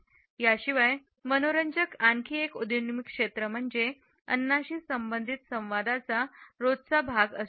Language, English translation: Marathi, Another aspect which is interesting about this emerging area is that the communication related with food has an everydayness